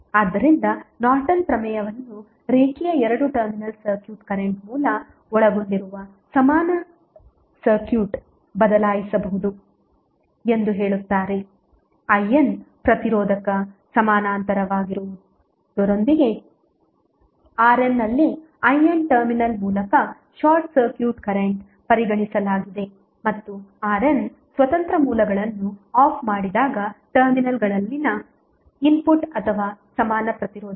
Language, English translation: Kannada, So, Norton's Theorem says that a linear two terminal circuit can be replaced by an equivalent circuit consisting of a current source I N in parallel with resistor R N where I N is consider to be a short circuit current through the terminals and R N is the input or equivalent resistance at the terminals when the independent sources are turned off